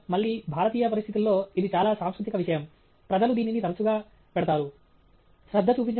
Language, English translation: Telugu, Mainly again this is a very cultural thing in I think in Indian conditions, people do put this up quite a bit